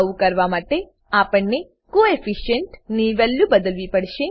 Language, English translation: Gujarati, To do so, we have to change the Coefficient value